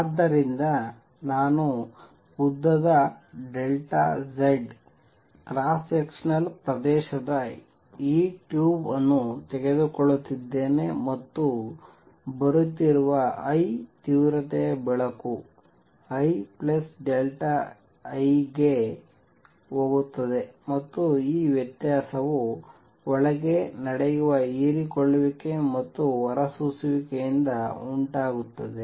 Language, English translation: Kannada, So, I am taking this tube of length delta Z cross sectional area a and light of intensity I is coming in and light of intensity I plus delta I goes out, and the difference arises from the absorption and emission taking place inside